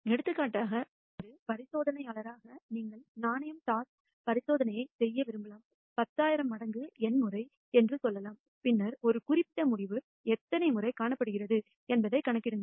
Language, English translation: Tamil, For example, as an experimentalist you might want to do the coin toss experiment let us say 10,000 times N times and then count the number of times a particular outcome is observed